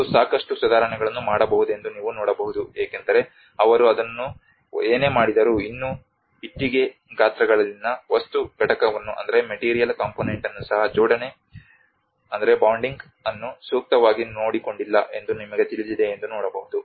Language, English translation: Kannada, And you can see that a lot of improvement could be done because whatever they have done it still one can see that you know the bonding has not been appropriately taken care of even the material component on the bricks sizes